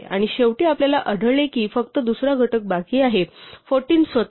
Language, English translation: Marathi, And finally, we find that the only other factor left is 14 itself